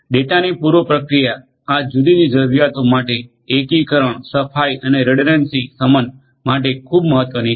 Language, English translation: Gujarati, It is also very important to pre process the data for serving this different needs integration cleaning and redundancy mitigation